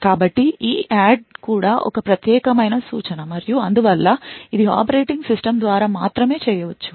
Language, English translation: Telugu, So EADD is also a privileged instruction and therefore it can only be done by operating system